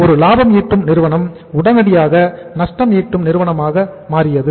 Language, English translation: Tamil, The profitmaking company will become a lossmaking company